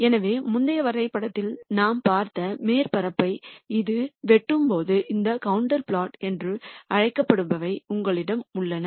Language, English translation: Tamil, So, when that cuts the surface that we saw in the previous graph then you have what are called these contour plots